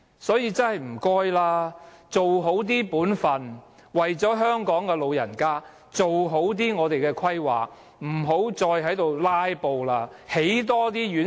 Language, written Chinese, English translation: Cantonese, 所以，拜託政府要做好本分，為了香港的長者，做好規劃，不要再"拉布"了，要多興建院舍。, Therefore please could the Government work hard to fulfil its basic responsibilities? . Would it care for the sake of our elderly to do good planning and build more residential care homes without delay?